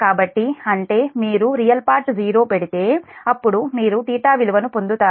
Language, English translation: Telugu, that means if you put this one real part is equal to zero, then you will get the theta value